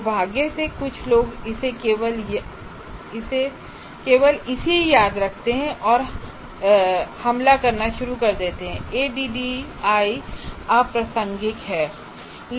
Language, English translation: Hindi, Unfortunately, people only remember that and start attacking that ADI is irrelevant